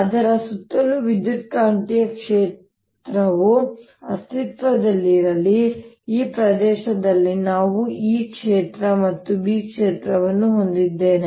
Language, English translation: Kannada, let an electromagnetic field exist around it so that we have e field and b field in this region